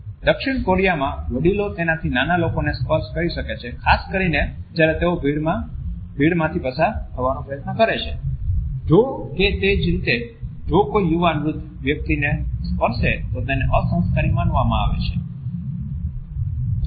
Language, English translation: Gujarati, In South Korea, elders can touch younger people particularly when they are trying to get through a crowd etcetera, however it is considered to be very crowd if a younger person touches an elderly person in the same manner